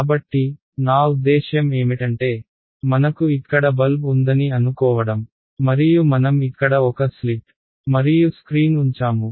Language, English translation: Telugu, So, I mean the basic idea there is supposing I have light bulb over here and I put a slit and a screen over here